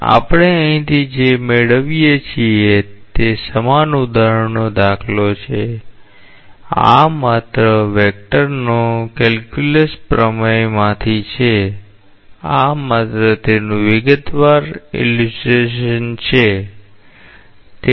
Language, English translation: Gujarati, So, what we get from here this is an example of illustration of the same concept, this is just from a vector calculus theorem, this is just detailed illustration of that